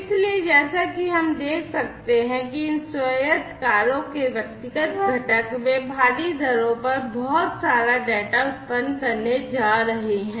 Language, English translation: Hindi, So, as we can see that individual components of these autonomous cars, they are going to throw in lot of data at huge rates, right